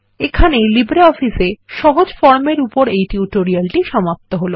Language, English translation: Bengali, This brings us to the end of this tutorial on Simple Forms in LibreOffice Base